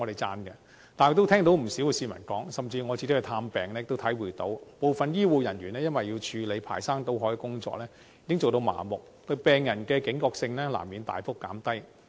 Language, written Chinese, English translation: Cantonese, 但是，我亦聽到不少市民說，甚至我去探病時也體會到，部分醫護人員要處理排山倒海的工作，已經做到相當麻木，對病人的警覺性難免大幅減低。, However I have also heard quite a number of people complain that some healthcare personnel have become quite insensitive because they have to deal with enormous amounts of workload and their alertness to patients has inevitably been lowered significantly . I also felt the same when I went to public hospitals during visit hours